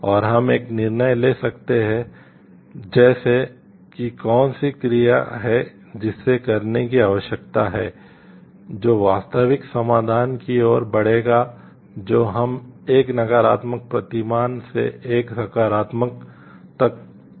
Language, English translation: Hindi, And we can take a decision like which is the action which needs to be done which will move our actual solution that we are providing from a negative paradigm to a positive one